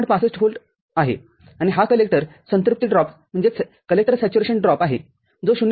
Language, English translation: Marathi, 65 volt and this is the collector saturation drop that is 0